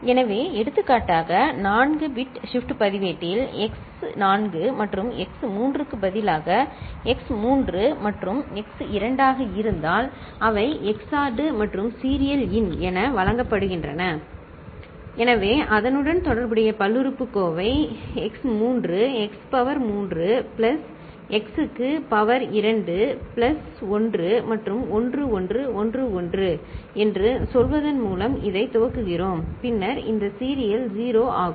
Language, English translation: Tamil, So, for example, again for a the 4 bit shift register, we are talking about instead of x 4 and x 3 if it is x 3 and x 2, they are XORed and fed as serial in, so, the corresponding polynomial is x3, x to the power 3 plus x to the power 2 plus 1 and we initialize it with say, 1 1 1 1, then this serial in is 0